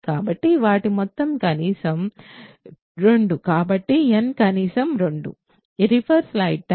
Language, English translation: Telugu, So, their sum is at least 2 so, n is at least 2